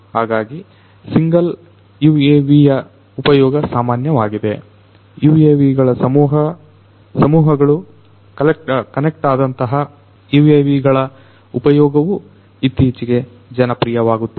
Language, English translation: Kannada, So, UAVs single UAVs use of single UAVs are quite common use of swarms of UAVs connected UAVs is also becoming quite popular